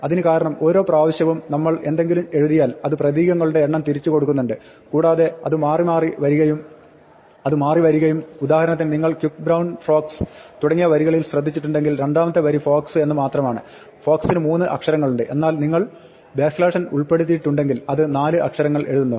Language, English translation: Malayalam, Now, notice you get the sequence of numbers why do we get a sequence of numbers that is because each time we write something it returns a number of character written and it will turn out, if you look at the lines quick brown fox, etcetera, for example, the second line is just fox, fox has three letters, but if you include the backslash n its wrote 4 letters